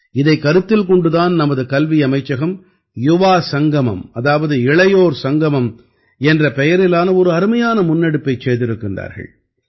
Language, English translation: Tamil, Keeping this in view, the Ministry of Education has taken an excellent initiative named 'Yuvasangam'